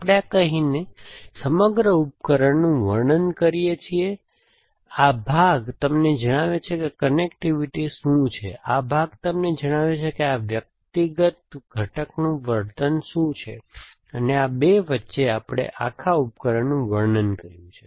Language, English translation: Gujarati, So, we describe the whole device by saying this, this part tells you what the connectivity is, this part tells you what the behavior of individual component is, and between these 2, we have describe the whole device essentially